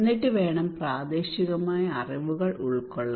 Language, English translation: Malayalam, And then we need to incorporate local knowledge